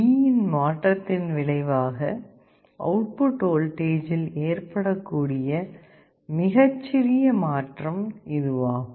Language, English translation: Tamil, This is the smallest change that can occur in the output voltage as a result of a change in D